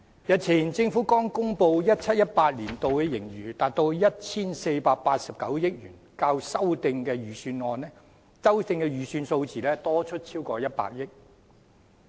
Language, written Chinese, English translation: Cantonese, 日前政府剛公布 2017-2018 年度的盈餘達 1,489 億元，較修訂的預算數字多出超過100億元。, Just the other day the Government announced a surplus of 148.9 billion for the year 2017 - 2018 which is 10 billion more than the revised estimate